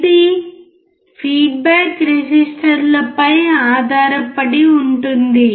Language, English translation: Telugu, It depends on the feedback resistors